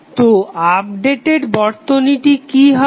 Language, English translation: Bengali, So, what would be the updated circuit